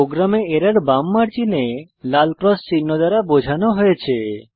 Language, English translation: Bengali, In a program, Error is denoted by a red cross symbol on the left margin